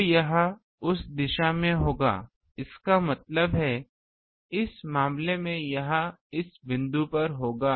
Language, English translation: Hindi, So, it will be in that direction; that means, in this case it will be in this point